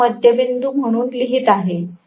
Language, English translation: Marathi, Let me write this as the midpoint